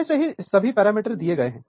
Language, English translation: Hindi, So, all these parameters are given